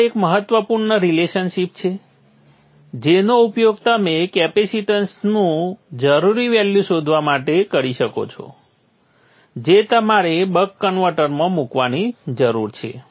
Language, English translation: Gujarati, Now this is a important relationship which you can use for finding the value of the capacitance that you need to put for the buck converter